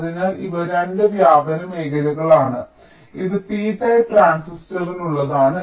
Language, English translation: Malayalam, this is for the p type transistor, this is for the n type transistor